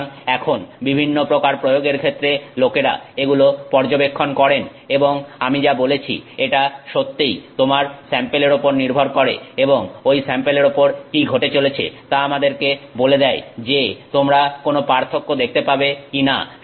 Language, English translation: Bengali, So, now people have studied this for variety of applications and as I said you know it really depends on your sample and what is happening to that sample which tells us whether or not you are going to see a difference or not